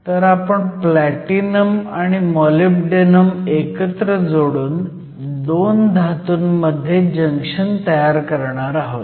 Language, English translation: Marathi, So, I am going to form a junction between platinum and then molybdenum